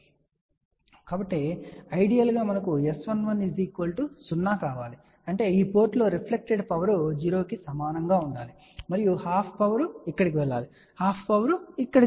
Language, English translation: Telugu, So, ideally what do we want we want S 11 to be equal to 0; that means, the reflected power at this port should be equal to 0 and the half power should go here half power should go over here